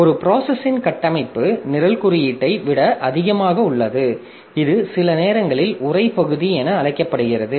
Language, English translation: Tamil, The structure of a process, a process is more than the program code which is sometimes known as the text part